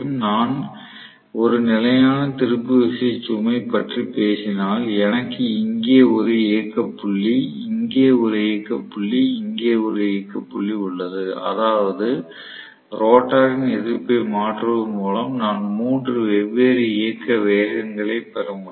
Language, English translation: Tamil, So, if am talking about a constant torque load I have one operating point here, one operating point here, one more operating point here, which means by changing the resistance rotor resistance I will be able to get 3 different operating speeds then I include more and more resistances